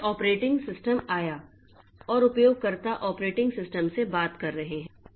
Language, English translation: Hindi, Then came the operating system and the users are talking to the operating system